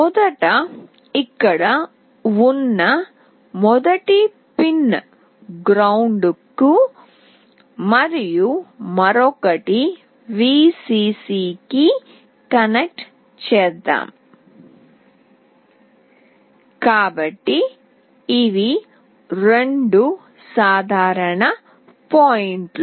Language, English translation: Telugu, Let me first connect the first pin which is here to ground and the other one to Vcc, so these are the two common points